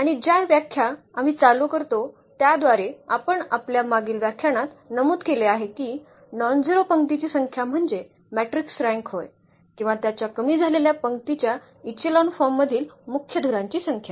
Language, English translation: Marathi, And the definition we start with which we have mentioned in one of our previous lecture that is the rank of a matrix is the number of nonzero rows or the number of pivots in its reduced row echelon forms